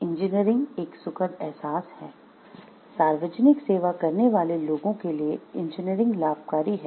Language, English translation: Hindi, Engineering is enjoyable, engineering benefits people provides a public service